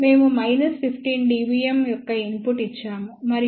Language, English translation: Telugu, We gave a input of about minus 15 dBm and the output is 0